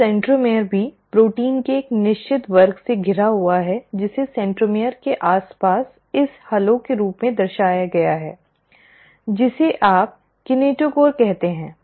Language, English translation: Hindi, Now the centromere is also surrounded by a certain class of proteins, which is depicted as this halo around a centromere, which is what you call as the kinetochore